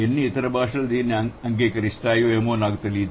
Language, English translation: Telugu, I don't know how many other languages would accept it